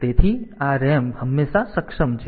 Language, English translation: Gujarati, So, this RAM is always enabled